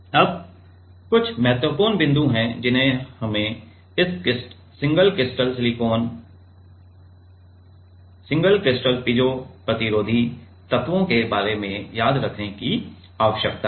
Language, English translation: Hindi, Now, there are some important points we need to remember regarding this single crystal silicon single crystal piezo resistive elements